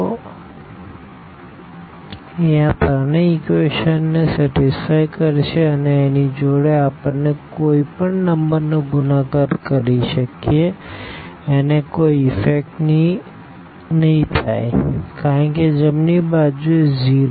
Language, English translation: Gujarati, So, it will satisfy all these three equations this part and any number also we can multiply it to this, it will not affect because the right hand side is0